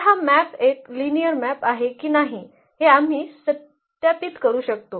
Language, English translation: Marathi, So, whether this map is a linear map or not we can verify this